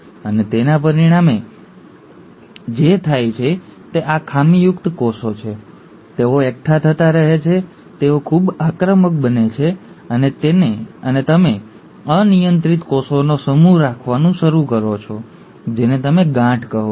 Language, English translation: Gujarati, And as a result, what happens is these defective cells, they keep on accumulating, they become highly aggressive, and you start having a mass of uncontrolled cells, which is what you call as the ‘tumors’